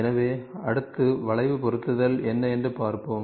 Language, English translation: Tamil, So, next we will see what is curve fitting